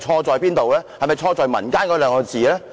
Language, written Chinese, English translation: Cantonese, 是否錯在"民間"兩個字呢？, Is the fault the word intercommon?